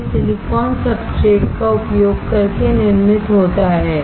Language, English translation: Hindi, It is manufactured using the silicon substrate